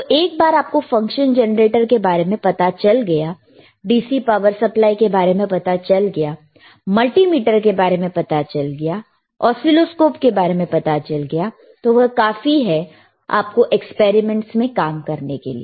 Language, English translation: Hindi, So, once you know function generator, once you know DC power supply, once you know multimeter, once you know oscilloscope, once you know variable actually that is more than enough for you to start working on the experiment part, all right